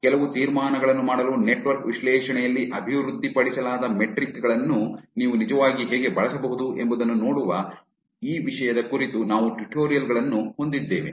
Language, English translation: Kannada, We have also have tutorials on this topic looking at how you can actually use metrics, which are developed in network analysis to make some inferences